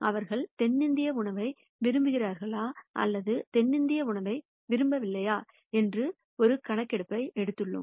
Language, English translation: Tamil, Let us say we have taken a survey to say whether they like South Indian food or do not like South Indian food